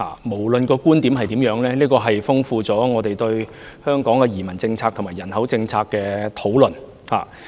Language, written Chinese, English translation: Cantonese, 無論其觀點如何，也豐富了我們對本港移民政策和人口政策的討論。, This has thus enriched our discussion about Hong Kongs immigration policy and population policy regardless of standpoint